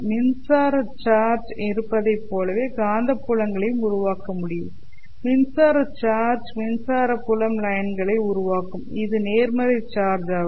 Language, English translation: Tamil, There is nothing like a magnetic charge which can generate magnetic fields just like there is an electric charge